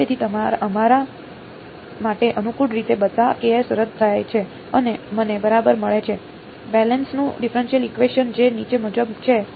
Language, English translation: Gujarati, So, conveniently for us all the all the ks cancel off and I get exactly, the Bessel’s differential equation which is as follows